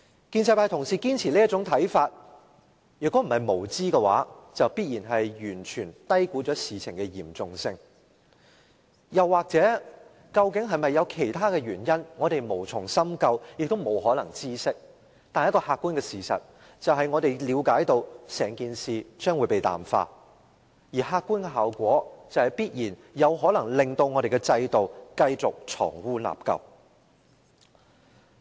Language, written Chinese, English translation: Cantonese, 建制派同事堅持這種看法，如果不是無知，便必然是完全低估事情的嚴重性，又或究竟是否有其他原因，我們無從深究，亦不可能知悉，但一個客觀事實是，我們了解整件事將會被淡化，而客觀效果必然有可能令我們的制度繼續藏污納垢。, Or there may be other reasons . We do not know if there is any and there is no way to know . But an objective fact is that the incident will be watered down and the obvious objective effect is that our system will very likely continue to be a place that shelters evils and wrongdoing